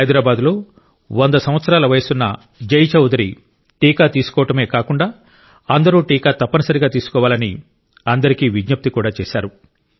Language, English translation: Telugu, 100 year old Jai Chaudhary from Hyderabad has taken the vaccine and it's an appeal to all to take the vaccine